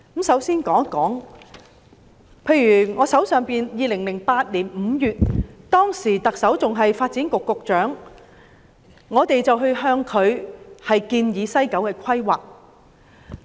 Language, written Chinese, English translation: Cantonese, 首先，在2008年5月，我曾向當時的發展局局長提出有關西九規劃的建議。, First in May 2008 I put forth proposals on the planning of West Kowloon to the then incumbent Secretary for Development who is now the Chief Executive